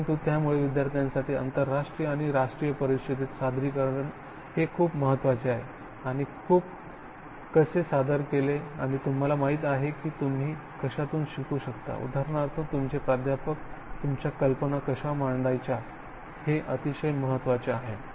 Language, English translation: Marathi, But so it is certainly presentation for students at international and national conference is very important and how you presented and you know you can learn from what, for example your Professor how to present your ideas very important